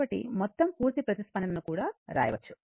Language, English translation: Telugu, So, we can also write the total complete response